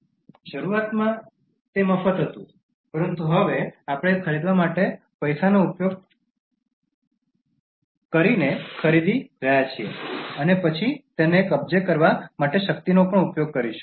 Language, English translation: Gujarati, Initially it was free, but now we are buying using money for buying and then using power to possess it